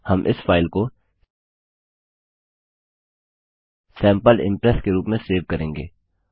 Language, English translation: Hindi, We will name this file as Sample Impress and click on the save button